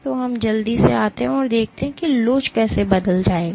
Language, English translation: Hindi, So, we quickly come and see how elasticity will change ok